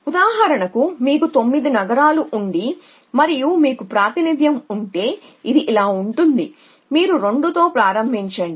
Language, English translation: Telugu, So, for example, if you have 9 cities you may have representation which is that you start with 2